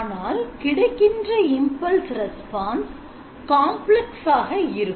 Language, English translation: Tamil, So here you find that the impulse response is complex